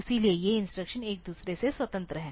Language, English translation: Hindi, So, they these instructions are independent of each other